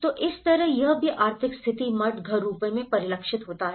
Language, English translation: Hindi, So, like that, it has also reflected in the economic status, monastery, house forms